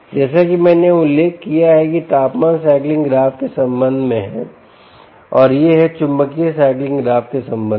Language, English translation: Hindi, as i mentioned, this is with respect to temperature cycling graph and this is with respect to the magnetic cycling graph